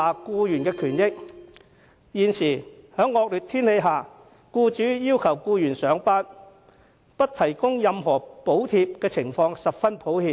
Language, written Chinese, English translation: Cantonese, 僱主在惡劣天氣下要求僱員上班，但不提供任何補貼的情況比比皆是。, There are numerous instances of employers requesting employees to go to work in inclement weather without providing any subsidies